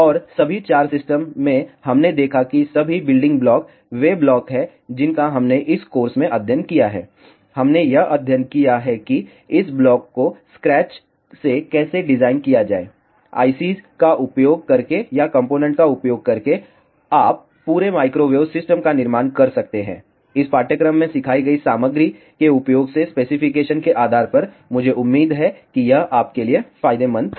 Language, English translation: Hindi, And, in all the 4 systems we saw that all the building blocks are the blocks that we have studied in this course, we have studied how to design this blocks from scratch, using ICS or using components and you can build an entire microwave system, depending on the specifications using the material that has been taught in this course I hope this was beneficial to you